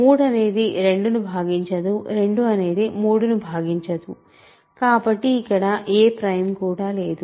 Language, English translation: Telugu, So, there is no prime, right because 3 does not divide 2, 2 does not divide 3